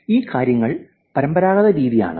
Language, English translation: Malayalam, So, that is traditional